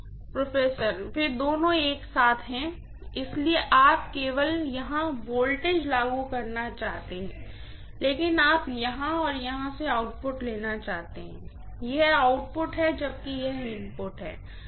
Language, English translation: Hindi, Both of them together, so you want to apply the voltage only here but you want to take the output from here and here, this is the output whereas this is the input